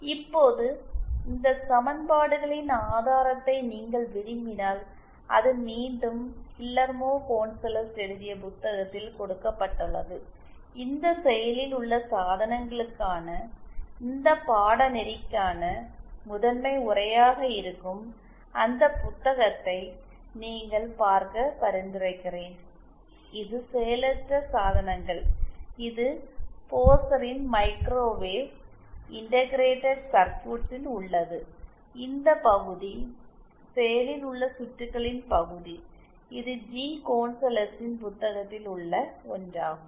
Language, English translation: Tamil, Now if you want a proof of these equations it is given again in the book by Guillermo Gonzales, I would recommend you refer to that book that is the primary text for this course for these active devices the passive devices it was Microwave Integrated Circuits by Pozar this part the active circuits part is the one by G Gonzalez